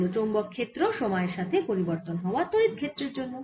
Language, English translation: Bengali, now we will calculate the magnetic field due to this time varying electric field